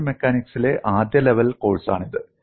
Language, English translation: Malayalam, It is a first level course in solid mechanics